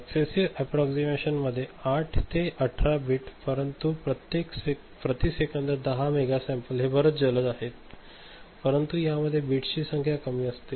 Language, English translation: Marathi, Successive approximation 8 to 18 bits, but 10 mega sample per second, this much faster ok, but number of bits in this less ok